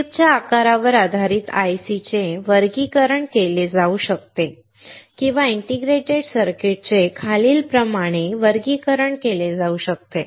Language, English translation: Marathi, Based on the chip size the ICs can be classified or integrated circuits can be classified as follows